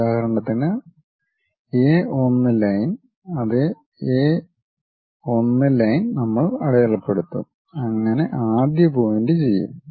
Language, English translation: Malayalam, For example, whatever the line A 1, same A 1 line we will mark it, so that first point will be done